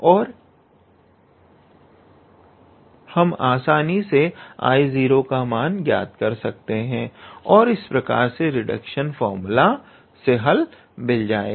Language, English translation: Hindi, And then we can easily calculate I 0 and that will basically give us the answer of the required reduction formula